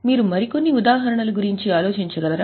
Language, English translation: Telugu, Can you think of some more examples